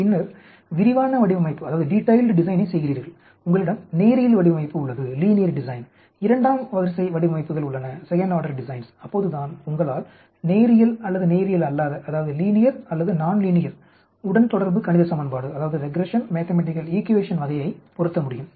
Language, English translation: Tamil, Then you do a detailed design you have linear design, second order designs so that you can fit linear or non linear type of a regression mathematical equation